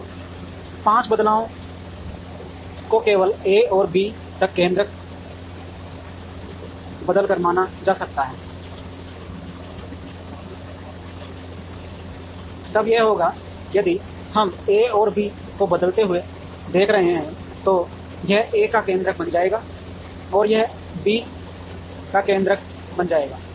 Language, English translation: Hindi, So, 5 changes can be considered by simply changing the centroids from A to B then this will if we are looking at changing A and B, then this will become A’s centroid, this will become B’s centroid